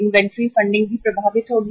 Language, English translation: Hindi, Inventory will also inventory funding will also be affected